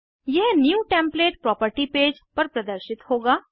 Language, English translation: Hindi, It will be displayed on the New template property page